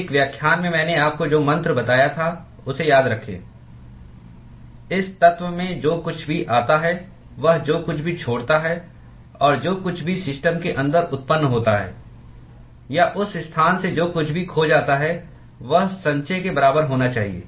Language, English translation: Hindi, Remember the mantra I told you in one of the lectures: whatever comes in in this element, whatever it leaves plus whatever is generated inside the system or whatever is lost from that location should be equal to accumulation